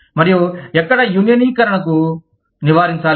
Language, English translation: Telugu, And, where unionization should be avoided